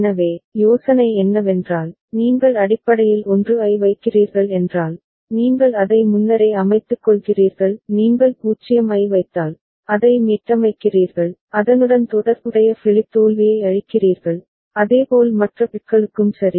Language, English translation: Tamil, So, the idea is if you are basically putting a 1, then you are presetting it; if you putting a 0, you are resetting it is clearing it the corresponding flip flop so, similarly for other bits right